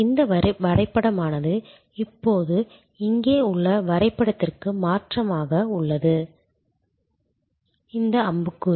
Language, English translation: Tamil, This diagram is therefore, now getting change to the diagram here, this arrow